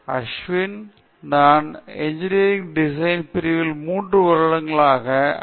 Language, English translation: Tamil, My name is Ashwin, I am from Department of Engineering Design